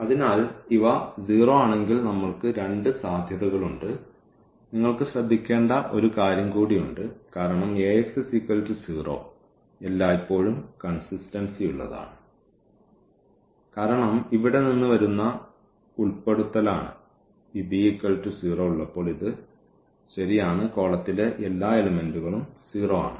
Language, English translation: Malayalam, So, if these are 0 then we have two possibilities and you have one more point to be noted because Ax is equal to 0 is always consistent that is the inclusion coming from here because when we have this b is 0, so, this right this column everything is 0